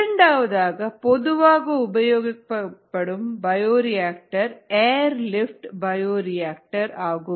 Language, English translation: Tamil, the second type, second common type that is used is what is called an air lift bioreactor